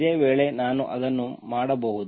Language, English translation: Kannada, If this is the case, then I can do it